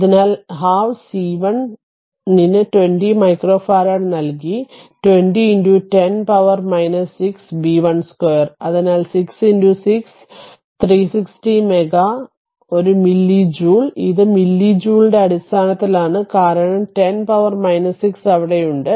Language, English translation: Malayalam, So, half c 1 is given 20 micro farad, so 20 into 10 to the power minus 6 into b square, so 6 into 6, so 360 meg a milli joule, it is in terms of milli joule right because 10 to the power minus 6 is there